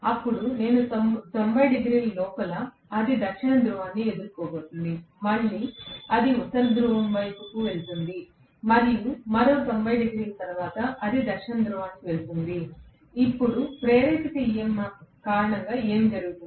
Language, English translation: Telugu, Then within 90 degrees it is going to face South Pole, again it is going face North Pole and after another 90 degrees it is going face South Pole, now what happens as per as the induced EMF is concerned